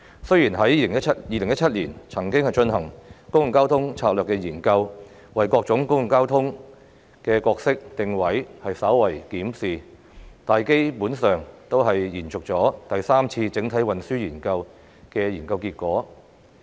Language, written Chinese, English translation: Cantonese, 雖然政府在2017年曾經進行《公共交通策略研究》，為各種公共交通工具的角色定位稍為進行檢視，但這項研究基本上只是延續第三次整體運輸研究的研究結果。, The Government carried out the Public Transport Strategy Study in 2017 to briefly review the respective roles and positioning of public transport services but it was basically a continuation of the findings of the Third Comprehensive Transport Study